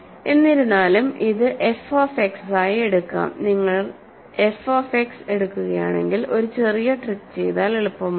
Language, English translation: Malayalam, However, let us take this as f of X, a small trick will do the job for you if you take f of X